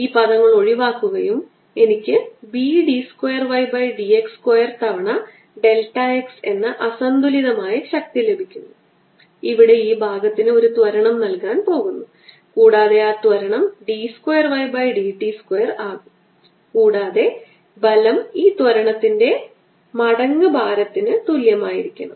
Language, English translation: Malayalam, this term cancels and i get the un balance force to be b d two y d x square delta x which is going to acceleration to this portion out here, and that acceleration is going to be d two y by d t mass square feet equal to mass times acceleration and mass times acceleration and mass of this portion is going to be a, its volume a delta x times the density row